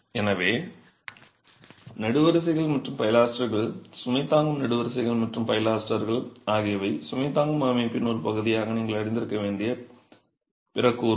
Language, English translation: Tamil, So, columns and pilasters, load bearing columns and pilasters are the other elements that you should be aware of as part of the load bearing system